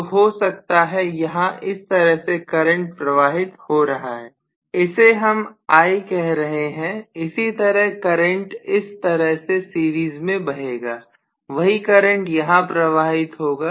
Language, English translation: Hindi, So may be, I am going to have the current flowing like this here, which maybe I, similarly the current will be flowing like this in series the same current flows here